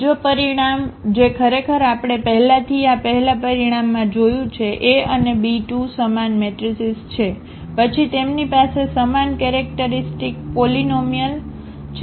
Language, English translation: Gujarati, Another result which actually we have seen already in this first result A B are the square similar matrices, then they have the same characteristic polynomial